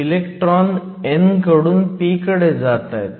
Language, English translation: Marathi, Electrons move from the n to the p